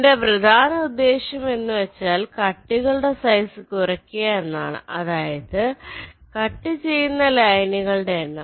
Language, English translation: Malayalam, so my objective is to minimize the size or the cuts, the cut size number of lines which are cutting